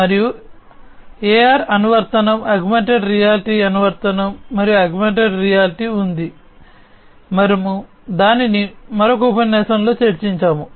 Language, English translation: Telugu, And there is a AR app Augmented Reality app and augmented reality, we have discussed it in another lecture what is augmented reality we have already understood it